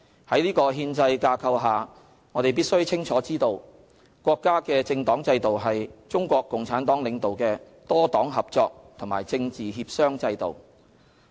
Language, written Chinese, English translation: Cantonese, 在這憲制架構下，我們必須清楚知道，國家的政黨制度是中國共產黨領導的多黨合作和政治協商制度。, Under this constitutional framework we must be well aware that the political party system of the Peoples Republic of China is a system of multiparty cooperation and political consultation led by the Communist Party of China